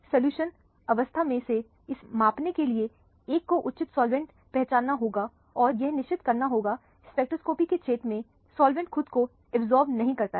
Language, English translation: Hindi, In order to measure this in solution phase, one has to identify suitable solvents making sure the solvent itself does not absorb in the region of interest for the spectroscopy